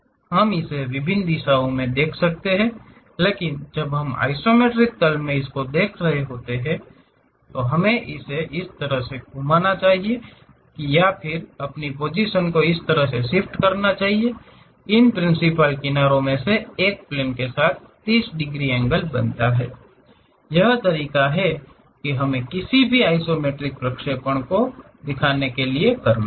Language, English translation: Hindi, We can view it in different directions; but when we are representing it in isometric plane, we have to rotate in such a way that or we have to shift our position in such a way that, one of these principal edges makes 30 degrees angle with the plane, that is the way we have to represent any isometric projections